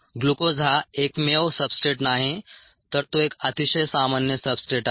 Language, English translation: Marathi, glucose is not the only substrates, but it's a very common substrates